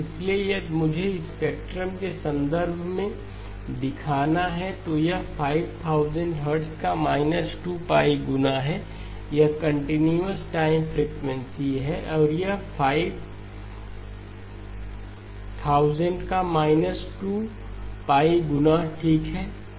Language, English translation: Hindi, So if I were to show in terms of the spectrum, this is 2pi times 5,000, this is the continuous time frequency and this will be minus 2pi times 5,000 okay